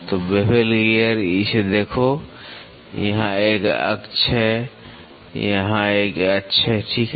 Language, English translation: Hindi, So, bevel gear look at it so, here is an axis here is an axis, right